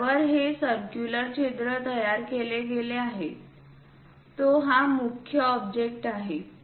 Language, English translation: Marathi, The main object is this on which these circular holes are created